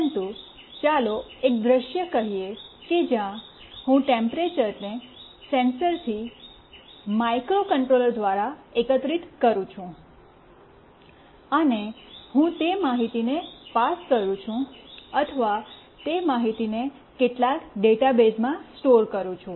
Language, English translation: Gujarati, But, let us say a scenario where I gather that temperature from the sensor through microcontroller, and I pass that information or store that information in some database